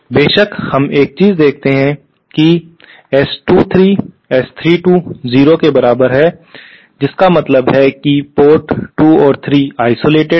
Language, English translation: Hindi, Of course we see one thing that S 23 is equal to S 32 is equal to 0 which means ports 2 and 3 are isolated